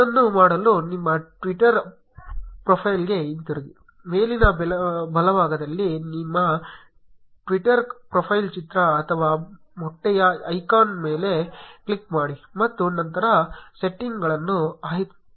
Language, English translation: Kannada, To do that go back to your twitter profile, on the top right click on your twitter profile picture or the egg icon and then select settings